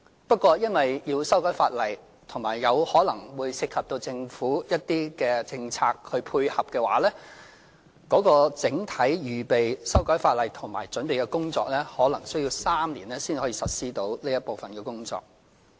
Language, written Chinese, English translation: Cantonese, 不過，由於要修改法例，以及有可能涉及政府一些政策以作出配合，整體預備修改法例和準備的工作可能需要3年，然後才能實施這一部分的工作。, However owing to the need for introducing legislative amendments coupled with the possible involvement of some government policies to provide support the entire preparatory work including preparations for making legislative amendments might take three years before this part of work can be carried out